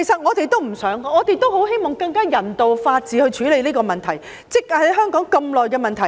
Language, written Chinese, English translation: Cantonese, 我們也不想這樣，我們很希望以法治、人道的方法處理香港這個積壓多年的問題。, The illegal immigrants may soon vanish in the open sea . We do not want this to happen . We very much hope that this problem which has beset Hong Kong for a long time can be dealt with in a lawful and humane manner